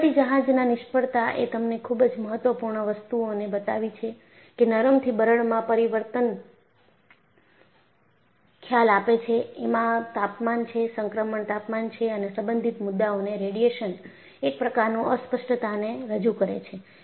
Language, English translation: Gujarati, So, the Liberty ship failure has shown you very important things; that there is a concept of changing from ductile to brittle; there is a temperature, transition temperature and a related concept is radiation introduces a sort of embrittlement